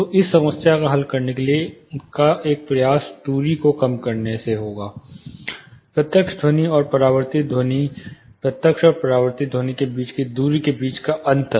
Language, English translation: Hindi, So, one attempt to solve this problem would be in minimizing the distance, the direct sound and the reflected sound, the difference between the distances between the direct and reflected sound